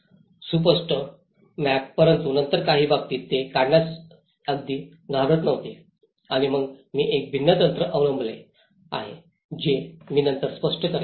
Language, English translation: Marathi, Legible maps but then in some cases they were not even afraid even to draw and then I have adopted a different techniques which I will explain later